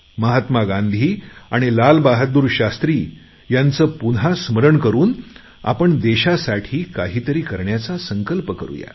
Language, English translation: Marathi, Let us all remember Mahatma Gandhi and Lal Bahadur Shastri and take a pledge to do something for the country